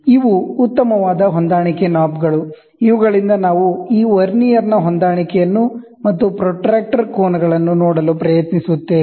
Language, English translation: Kannada, So, these are fine adjustment knobs, which are there; so that we try to see the matching of this Vernier and also the protractor angles